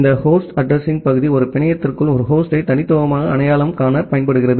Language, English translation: Tamil, And this host address part it is used to uniquely identify a host inside a network